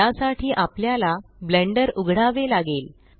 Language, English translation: Marathi, To do that we need to open Blender